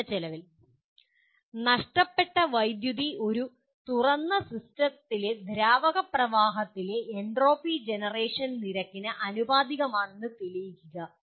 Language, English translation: Malayalam, Prove that lost power is proportional to entropy generation rate in the fluid flow in an open system